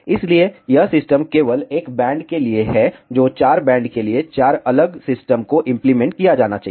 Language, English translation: Hindi, So, this system is only for a single band and for 4 bands, 4 such separate systems have to be implemented